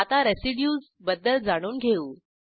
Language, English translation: Marathi, Now, lets learn about Residues